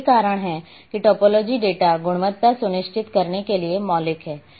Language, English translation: Hindi, So that is why to topology is fundamental to ensure data quality